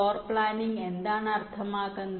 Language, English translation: Malayalam, floorplanning: what does it mean